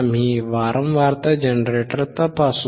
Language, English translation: Marathi, We will check the frequency generator